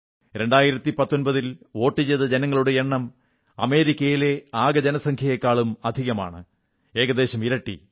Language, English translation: Malayalam, The number of people who voted in the 2019 Lok Sabha Election is more than the entire population of America, close to double the figure